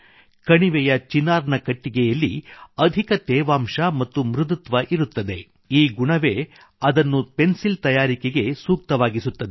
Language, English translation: Kannada, Chinar wood of the valley has high moisture content and softness, which makes it most suitable for the manufacture of pencils